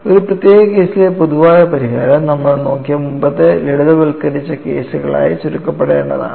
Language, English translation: Malayalam, Any general solution in a particular case should reduce to the earlier simplified cases that you are looked at